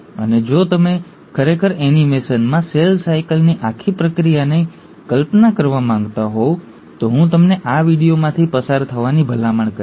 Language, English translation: Gujarati, And if you really want to visualize the whole process of cell cycle in an animation, I will recommend you to go through this video